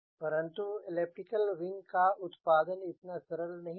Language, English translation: Hindi, but the manufacturing of elliptic wing is not so straightforward